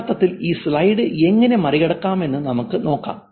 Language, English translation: Malayalam, Let's look at this slide